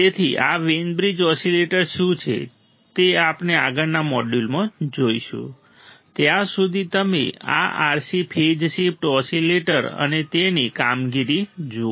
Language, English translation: Gujarati, So, what are Wein bridge oscillators; we have we will see in the next module, till then you just see this RC phase shift oscillator and its functioning